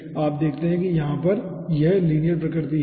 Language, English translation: Hindi, so you see, that is the linear nature over here we have seen